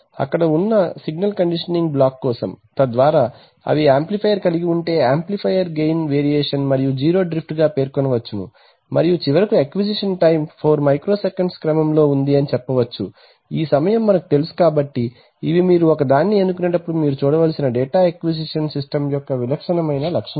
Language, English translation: Telugu, These, thing, this these two specification gain and zero drift specifications are for the signal conditioning block which is there in the this thing, so that if they will have an amplifier and then amplifier gain variation and zero drift can be specified and finally the acquisition time which says that the acquisition time is of the order of 4 micro seconds, you know so these are typical specifications of a data acquisition system which you need to look at when you select 1